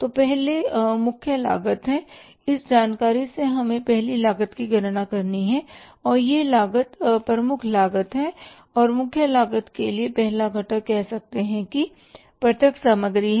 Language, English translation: Hindi, From this information we have to calculate the first cost and that cost is the prime cost and for the prime cost the first component is say that is the direct material